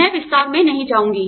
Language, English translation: Hindi, I will not get into the details